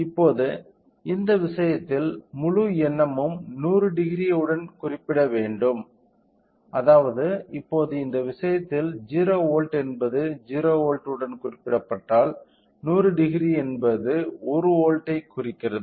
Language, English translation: Tamil, Now, in this case the whole idea is that 100 degrees has to be represented with, so, that means, now in this case if we observe 0 volts is represented with 0 volts; 100 degree is representing with 1 volt